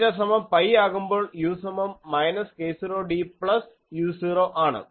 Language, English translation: Malayalam, And when theta is equal to pi, u is equal to minus k 0 d plus u 0